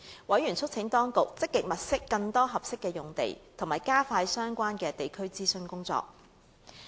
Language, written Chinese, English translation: Cantonese, 委員促請當局積極物色更多合適用地，以及加快相關的地區諮詢工作。, Members urged the authorities to actively identify more suitable land sites and to speed up the relevant consultation in local communities